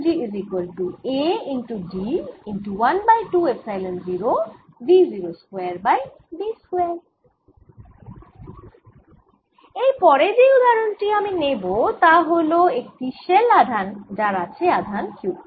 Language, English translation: Bengali, the next example i take is that of a charge shell on which there's a charge q